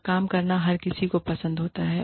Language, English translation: Hindi, And, everybody loves going to work